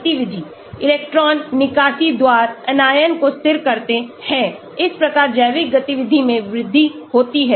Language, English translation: Hindi, R stabilize the anion by electron withdrawal, thus increasing biological activity